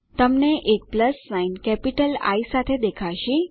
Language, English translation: Gujarati, You will see a plus sign with a capital I